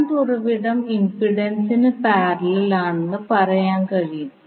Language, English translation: Malayalam, So you can say again the current source is in parallel with impedance